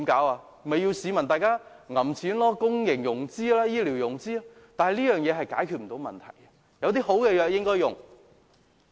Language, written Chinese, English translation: Cantonese, 那便要市民掏腰包、公營融資或醫療融資，但這樣是無法解決問題的，有好的方法便應採用。, By then people will have to pay their own expenses or we may have to resort to public or private health care financing but still the problems remain unresolved . We must adopt a better approach when there is one available